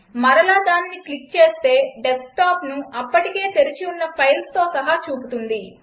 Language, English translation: Telugu, If we click this again, it shows the Desktop, along with the files already open